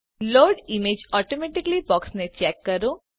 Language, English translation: Gujarati, Check the Load images automatically box